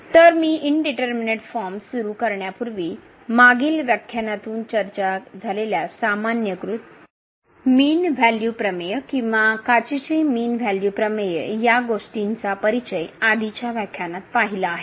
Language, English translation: Marathi, So, before I start to indeterminate forms let me just introduce your recall from the previous lecture, the generalized mean value theorem or the Cauchy mean value theorem which was discussed in previous lecture